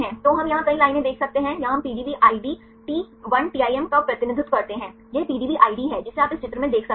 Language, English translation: Hindi, So, we can see several lines here, here we represents the PDB ID 1TIM right this is the PDB ID which you can see in this picture right